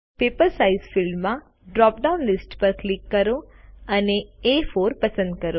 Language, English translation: Gujarati, In the Paper Size field, click on the drop down list and select A4